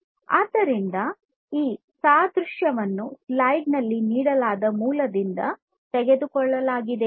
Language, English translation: Kannada, So, this analogy has been taken from the source that is given on the slide